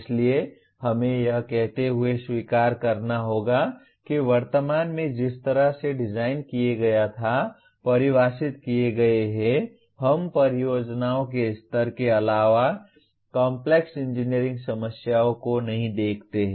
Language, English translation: Hindi, So we just have to accept saying that presently the way the curricular designed or defined we do not look at Complex Engineering Problems other than at the level of projects